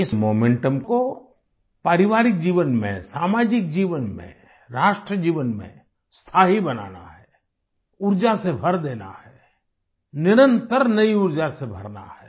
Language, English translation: Hindi, In family life, in social life, in the life of the Nation, this momentum has to be accorded permanence…infusing it with energy…replenishing it with relentless new energy